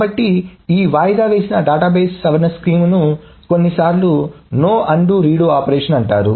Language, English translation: Telugu, So, this deferred database modification scheme is sometimes called a no undo but redo operation